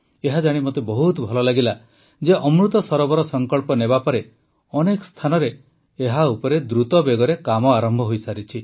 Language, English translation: Odia, By the way, I like to learnthat after taking the resolve of Amrit Sarovar, work has started on it at many places at a rapid pace